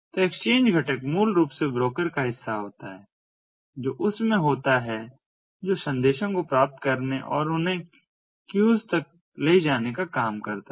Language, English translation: Hindi, so the exchange component is basically part of the broker that is in that is task to receive messages and route them to the queues